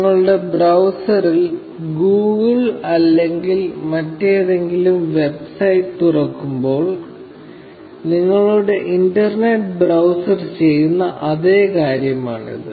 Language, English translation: Malayalam, This is essentially the same thing that your internet browser does, when you open Google, or any other website, in your browser